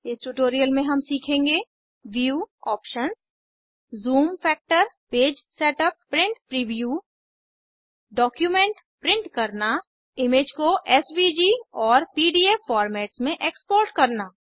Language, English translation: Hindi, In this tutorial we will learn View options Zoom factor Page setup Print Preview Print a document Export an image as SVG and PDF formats